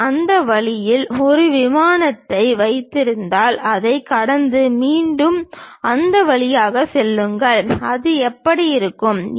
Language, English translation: Tamil, If I am having a plane in that way, pass through that and again pass through that; how it looks like